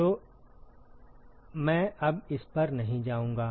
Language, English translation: Hindi, So, I will not go over it now